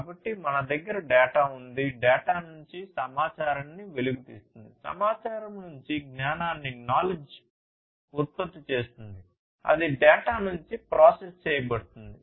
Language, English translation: Telugu, So, we have the data, then extracting information out of the data, generating knowledge out of the information, that is that is processed from the data